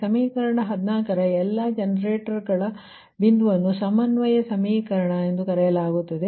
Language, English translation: Kannada, that is equation fourteen is called the coordination equation